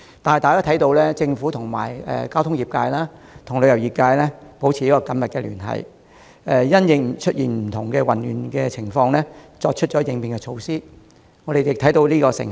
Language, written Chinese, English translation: Cantonese, 不過，在政府與交通業界及旅遊業界保持緊密聯繫，因應出現的不同混亂情況採取應變措施後，我們已看到成效。, But after the Government has maintained close liaison with the transport and tourism sectors and adopted measures in response to various chaos we have seen some fruit